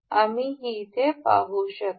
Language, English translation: Marathi, We can see here